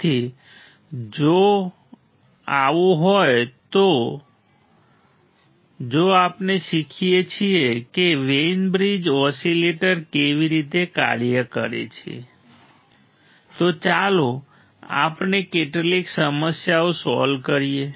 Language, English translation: Gujarati, So, if that is the case if we learn how the Wein bridge is oscillator operates then let us solve some problems right let us solve some problems